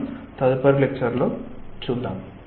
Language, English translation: Telugu, that we will take up in the next class